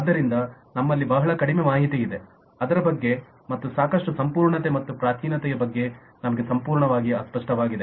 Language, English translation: Kannada, so we have very low information about that and regarding sufficiency, completeness and primitiveness, we are absolutely unclear